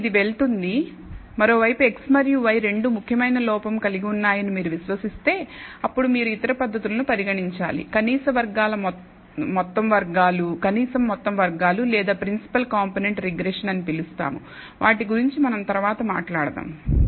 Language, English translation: Telugu, So, this goes if on the other hand if you believe both x and y contain signif icant error, then perhaps you should consider other methods called total least squares or principal component regression that we will talk about later